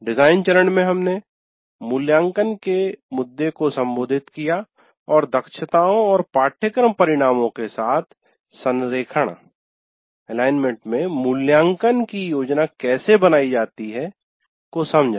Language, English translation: Hindi, And then in design phase, we address the issue of assessment and how to plan assessment in alignment with that of competencies and course outcomes